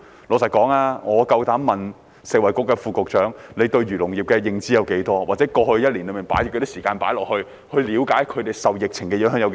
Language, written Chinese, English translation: Cantonese, 老實說，我有膽子問食物及衞生局副局長，對漁農業的認知有多少？或過去一年，他投放多少時間了解他們受疫情影響的程度？, Frankly speaking I dare to ask the Under Secretary for Food and Health how much he knows about the agriculture and fisheries industries or how much time he has spent in the past year to understand the extent to which they have been affected by the epidemic